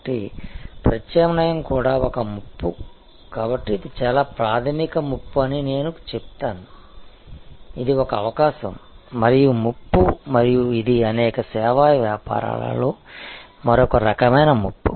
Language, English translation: Telugu, So, substitution is also a threat, so I would say this is a very primary threat, this is an opportunity as well as a threat and this is another kind of threat in many service businesses